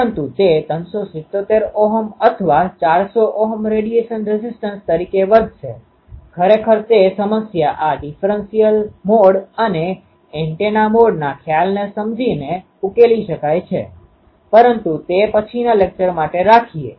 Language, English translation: Gujarati, So, can we have a dipole, but it will behave as a 377 ohm or 400 ohm ah radiation resistance actually that problem will be solved by understanding this differential mode and antenna mode concept, but that is a for a later lecture